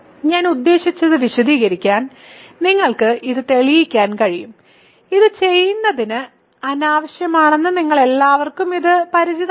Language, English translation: Malayalam, So, in order to explain I mean, you can prove this, but that will take me I mean that is unnecessary to do this you are all familiar with this